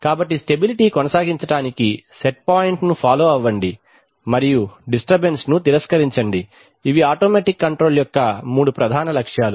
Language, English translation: Telugu, So maintain stability, follow set point, and reject disturbance, these are the three major objectives of automatic control